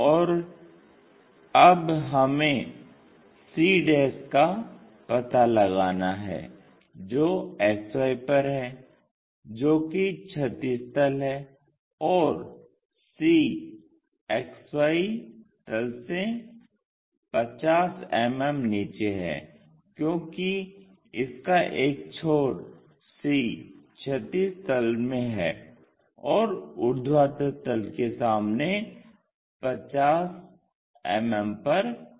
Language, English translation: Hindi, And now we have to locate c' which is on XY which is horizontal plane and c 50 mm below that XY plane, because its end c is in horizontal plane and 50 mm in front of vertical plane